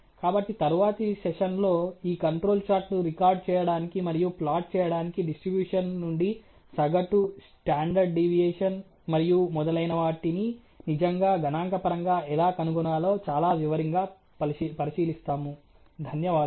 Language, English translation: Telugu, So, in the next session we will look at very closely an investigate more related to how do you really statistically find out from a distribution the mean, the standard deviation so and so forth, for recording and plotting this control chart